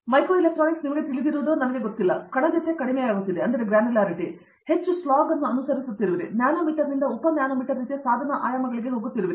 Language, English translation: Kannada, Micro electronics, I don’t have to say that is the you know, the granularity has going down, you are following more slog, you are going from nanometer to sub nanometer kind of device dimensions